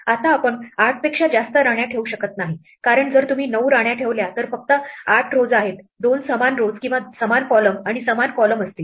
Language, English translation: Marathi, Now we cannot place more than 8 queens; because, there are only 8 rows if you place 9 queens, 2 will be in the same row or the same column and the same column